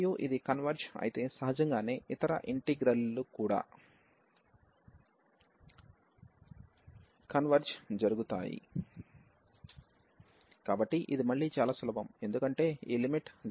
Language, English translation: Telugu, And if this converges then naturally the other integral will also converge, so that is again a simple so, because this limit is coming to be 0 as x approaches to infinity